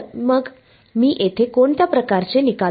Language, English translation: Marathi, So, what kind of results do I get over here